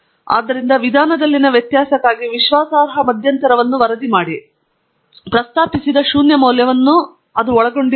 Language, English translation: Kannada, So, the confidence interval for the difference in means is reported here, and it does not include the postulated value which is 0